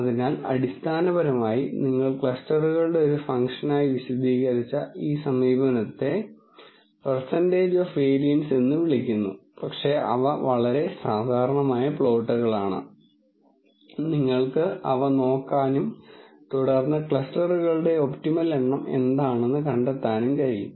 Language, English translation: Malayalam, So, basically this approach uses what is called a percentage of variance explained as a function of number of clusters but those are very typical looking plots and you can look at those and then be able to figure out what is the optimal number of clusters